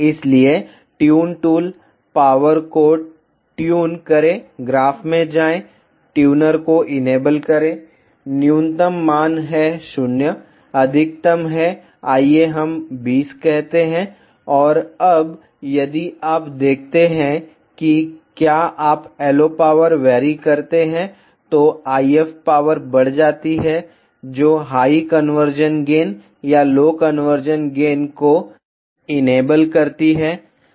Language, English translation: Hindi, So, tune tool, tune the power go to the graph, enable the tuner minimum value is 0 maximum is let us say 20 and now if you see if you vary the LO power, the IF power increases which enables a higher conversion gain or lower conversion loss